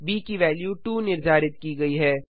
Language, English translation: Hindi, b is assigned the value of 2